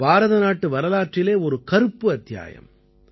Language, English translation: Tamil, It was a dark period in the history of India